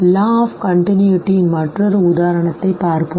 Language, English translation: Tamil, Let us look at another example of a law of continuity